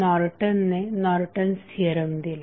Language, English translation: Marathi, Norton gave the theory called Norton's Theorem